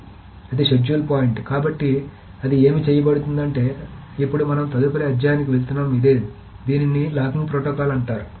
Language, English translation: Telugu, So, then what it is being done is that now what we are going to next study is this what is called the locking protocol